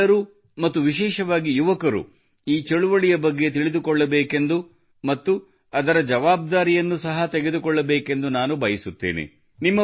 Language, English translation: Kannada, I would like all of you, and especially the youth, to know about this campaign and also bear responsibility for it